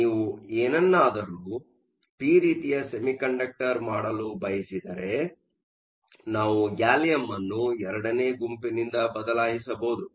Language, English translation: Kannada, If you want make something p type, we can replace gallium by group two